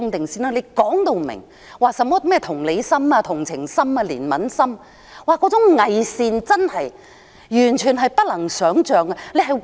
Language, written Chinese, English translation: Cantonese, 說甚麼同理心、同情心、憐憫心，那種偽善完全是不能想象的。, All the talk about empathy sympathy and compassion such hypocrisy is beyond me